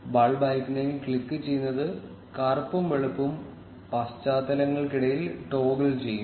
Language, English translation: Malayalam, Clicking on the bulb icon will toggle between black and white backgrounds